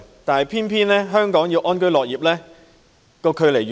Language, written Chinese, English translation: Cantonese, 但是，偏偏在香港要安居樂業，越來越難。, However it is only getting more difficult to work and live in contentment in Hong Kong